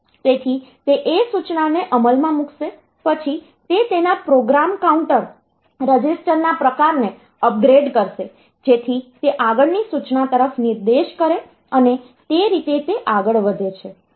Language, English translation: Gujarati, So, it will take that instruction execute it then it will upgrade its program counter type of registers so that it points to the next instruction and that way it will go on